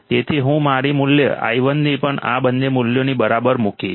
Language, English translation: Gujarati, So, I will also put my value i1 equals to both these values